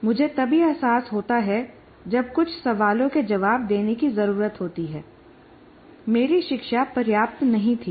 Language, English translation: Hindi, And then I only realize when some questions need to be answered my learning was not adequate